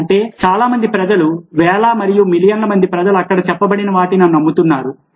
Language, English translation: Telugu, that means very many people, thousands and millions of people, crors of people believe what is being said over there